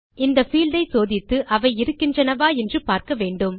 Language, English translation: Tamil, We will need to check this field to see whether they exist or not